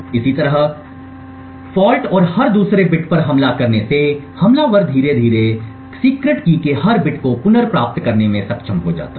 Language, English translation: Hindi, Similarly, by injecting false and every other bit the attacker get slowly be able to recover every bit of the secret key